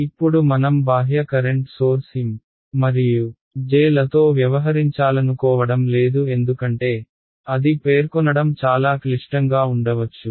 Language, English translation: Telugu, Now I do not want to deal with the external current sources M and J because, they may be very complicated to specify